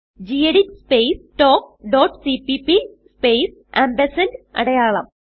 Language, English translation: Malayalam, gedit space talk dot .cpp space ampersand sign